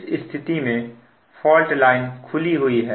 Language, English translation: Hindi, so in this case, fault line is open